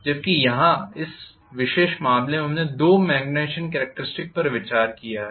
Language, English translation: Hindi, Where as in this particular case we have considered two magnetization characteristics